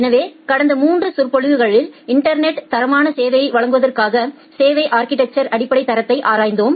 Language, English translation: Tamil, So, in the last 3 lectures we have looked into the basic quality of service architecture to provide quality of service over the internet